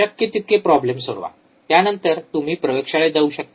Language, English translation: Marathi, Solve as many problems as you can, then go to the laboratory